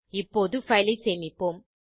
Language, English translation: Tamil, Lets save the file now